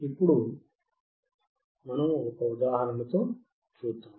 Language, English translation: Telugu, Now we will take an example